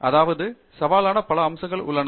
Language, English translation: Tamil, I mean, there are a lot of aspects of it that are challenging